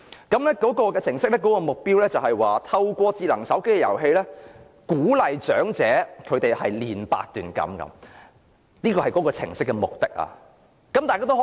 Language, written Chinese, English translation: Cantonese, 該程式目的是"透過人工智能手機應用程式/遊戲，鼓勵長者鍛鍊八段錦，培養健康的生活模式。, The purpose of the app is to promote healthy lifestyle and encourage the elderly to practice Baduanjin exercise through a mobile appgame of artificial intelligence